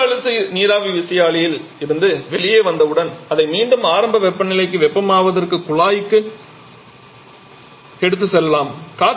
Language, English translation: Tamil, We may have a reheater as well once it comes out of this high pressure steam turbine it may be taken back to the duct to heat it back to the initial temperature